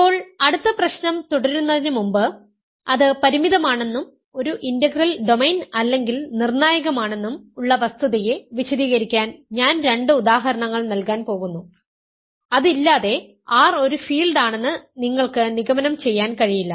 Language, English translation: Malayalam, Now, before continuing to the next problem, I am going to give two examples to illustrate the fact that both statements that we have finite and that it is an integral domain or crucial, without that you cannot conclude that R is a field